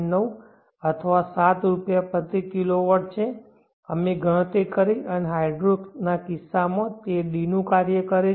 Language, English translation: Gujarati, 9 or 7Rs in the case of the PV we calculated and in the case of the hydro it is a function of d1